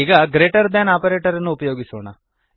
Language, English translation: Kannada, Now we have the greater than operator